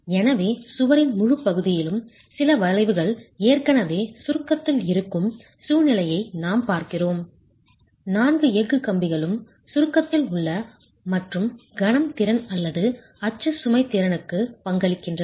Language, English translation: Tamil, So, we are looking at a situation where there is already some bending in the wall, entire section is in compression, all the four steel bars are also in compression and contribute to the moment capacity or the axle load capacity